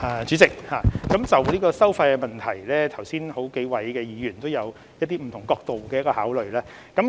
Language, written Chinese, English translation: Cantonese, 主席，關於收費的問題，剛才幾位議員也有提出不同角度的考慮。, President a number of Members have just given views on the charging of fees from different angles